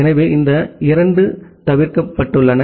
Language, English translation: Tamil, So, these two are omitted